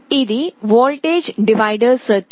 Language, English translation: Telugu, This is a voltage divider circuit